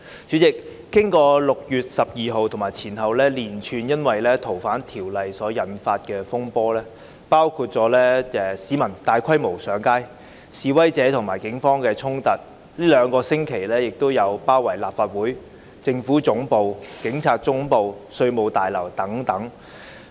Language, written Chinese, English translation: Cantonese, 主席，經過6月12日及前後因《逃犯條例》而引發的連串風波，包括市民大規模上街、示威者與警方的衝突，最近兩星期亦發生了包圍立法會、政府總部、警察總部和稅務大樓等的行動。, President subsequent to what happened on 12 June and the spate of incidents triggered by FOO before and after it including massive public processions and confrontations between protesters and the Police the last fortnight also saw sieges of the Legislative Council Complex the Central Government Offices the Police Headquarters the Revenue Tower etc